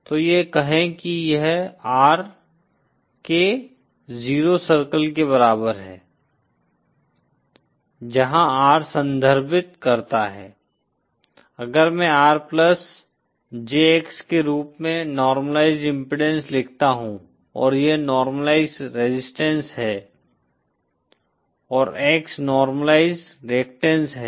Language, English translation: Hindi, So say this is the R equal to 0 circle where R refers to, if I write the normalized impedance as R plus JX, and this is the normalized resistance and X is the normalized reactants